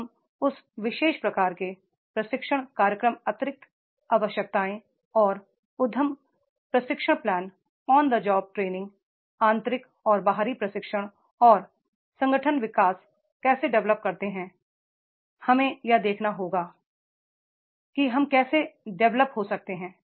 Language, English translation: Hindi, How we develop that particular type of the training programs, additional needs and the enterprise training plan on the job training, internal and external training and organization development that we have to see that is the how we can develop